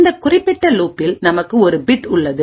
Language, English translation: Tamil, In this particular loop we have a bit